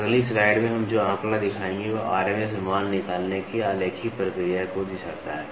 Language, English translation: Hindi, The figure which we will show in the next slide, illustrates the graphical procedure for arriving at the RMS value